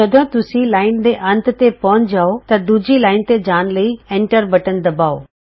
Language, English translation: Punjabi, When you reach the end of the line, press the Enter key, to move to the second line